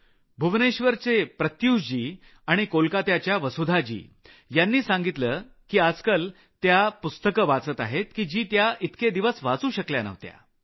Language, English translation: Marathi, Pratyush of Bhubaneswar and Vasudha of Kolkata have mentioned that they are reading books that they had hitherto not been able to read